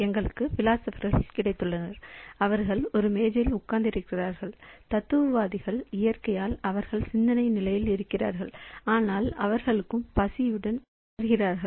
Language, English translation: Tamil, So, we have got a set of philosophers, say they are sitting on a table and philosophers by nature they are in thinking state but at some point of time they also feel hungry